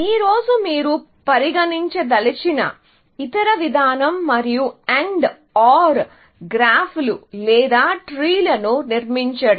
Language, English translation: Telugu, The other approach that you want to consider, today, is to construct what I call AND OR graphs or trees